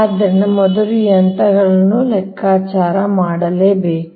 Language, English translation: Kannada, so first you calculate all the distances right